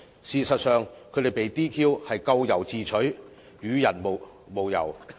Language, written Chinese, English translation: Cantonese, 事實上，他們被 "DQ" 咎由自取，與人無尤。, In fact their disqualification was nobodys fault but their own